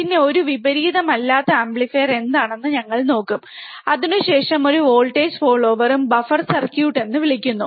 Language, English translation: Malayalam, Then we will look at what a non inverting amplifier is, followed by a voltage follower also called buffer circuit